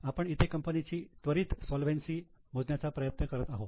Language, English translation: Marathi, So, what we are calculating here is an immediate solvency of the company